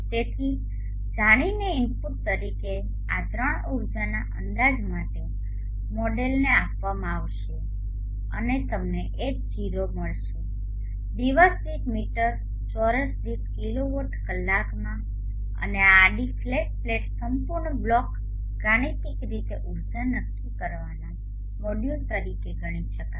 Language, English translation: Gujarati, as one of the inputs these 3 will be given to the model for estimating the energy and you will get H0 in kilowatt hours per meter square per day and this whole block algorithmically can be considered as the energy determining module for a horizontal flat plate